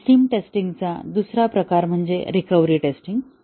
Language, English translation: Marathi, Another type of system test is the recovery test